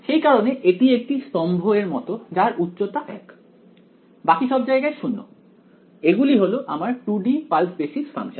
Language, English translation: Bengali, So, its like a its a column of height 1, 0 everywhere else these are my 2D pulse basis function